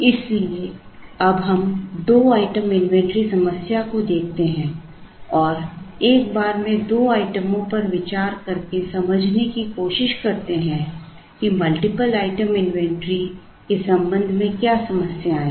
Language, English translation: Hindi, So, we now look at a two item inventory problem and try to understand, what the issues are with respect to multiple item inventories by simply considering two items at a time